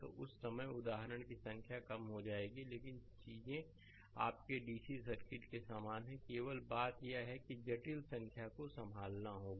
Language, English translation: Hindi, So, at that time number of example will be reduced, but things are same as your DCs circuit only thing is that there will handle complex number right